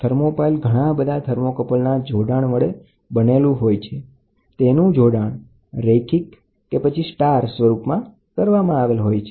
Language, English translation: Gujarati, A thermopile comprises a number of thermocouples connected in series wherein the hot junction are arranged side by side or in star formation